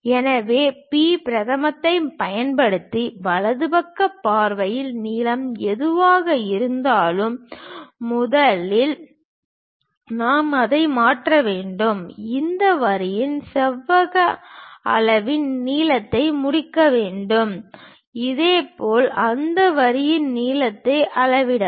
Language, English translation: Tamil, So, using B prime, whatever the length in the right side view we have that length first we have to transfer it, complete the rectangle measure length of this line; similarly, measure lengths of that line